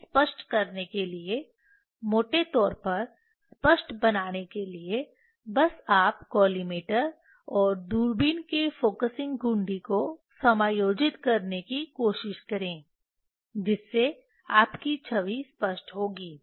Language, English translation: Hindi, to make it sharp roughly to make it sharp just you try to adjust the focusing knob of collimator and telescopes, that your image will be sharp